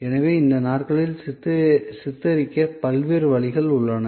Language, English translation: Tamil, So, there are different ways of depicting these days